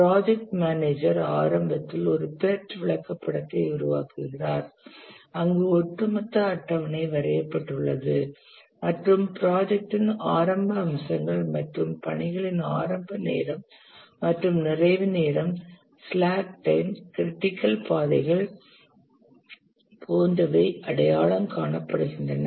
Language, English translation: Tamil, The project manager initially constructs a path chart where the overall schedule is drawn and various aspects of the project such as the earliest start and completion time of the tasks, the slack times, the critical paths, etc